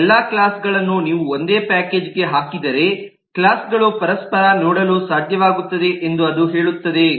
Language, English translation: Kannada, it says that if you put all this classes into a single package then the classes would be able to see each other